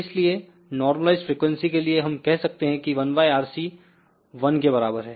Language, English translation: Hindi, So, for normaliz frequency we can say 1 by RC is equal to 1